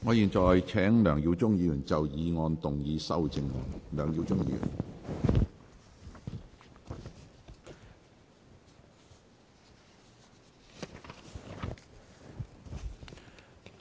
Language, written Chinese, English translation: Cantonese, 我現在請梁耀忠議員就議案動議修正案。, I now call upon Mr LEUNG Yiu - chung to move his amendment to the motion